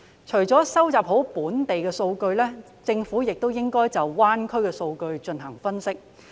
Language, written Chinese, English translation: Cantonese, 除了收集好本地數據外，政府亦應該就粵港澳大灣區的數據進行分析。, Apart from duly collecting local data the Government should also analyse the data of the Guangdong - Hong Kong - Macao Greater Bay Area GBA